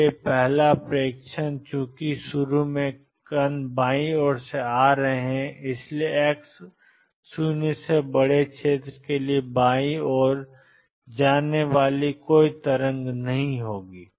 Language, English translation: Hindi, So, first observation since initially the particles are coming from the left there will be no waves going to the left for x greater than 0 region